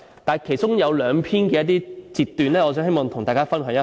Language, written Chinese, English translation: Cantonese, 但是，其中有兩篇我希望與大家分享一下。, And I would like to share two articles with Members